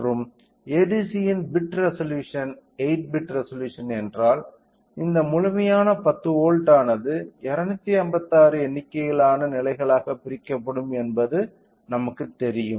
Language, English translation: Tamil, So, and if the bit resolution of ADC is 8 bit resolution we know that this complete 10 volts will be divided into 256 number of levels